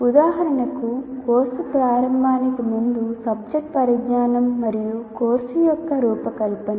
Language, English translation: Telugu, Prior to the beginning of the course, the knowledge of subject matter and design of the course matter